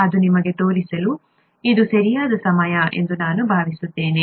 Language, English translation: Kannada, I think it is the right time to show you that